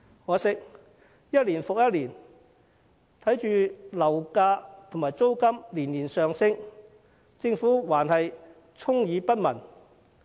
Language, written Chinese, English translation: Cantonese, 可惜，一年復一年，眼見樓價和租金年年上升，但政府依然充耳不聞。, Regrettably property prices and rents have been increasing year after year but the Government still shut its eye to the situation